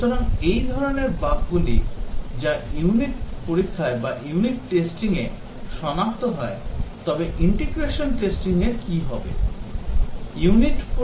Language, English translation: Bengali, So, these are types of bugs that are detected in unit testing; but what about the integration testing